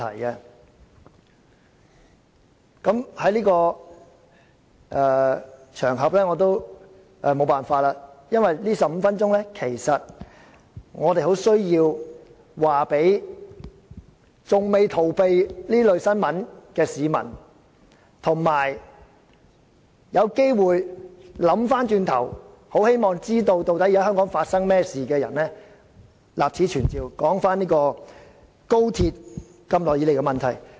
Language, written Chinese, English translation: Cantonese, 在今天這個場合，我們很需要在這15分鐘立此存照，告訴那些仍未逃避這類新聞的市民，以及那些有機會回頭想一想，希望知道香港現正發生甚麼事情的人，究竟高鐵一直以來存在甚麼問題？, On this occasion today it is imperative for us to put on record within these 15 minutes the long - standing problems of XRL for the information of those people who still do not turn away from such news and also people who have the chance to do some rethinking in the hope of finding out what exactly is going on in Hong Kong now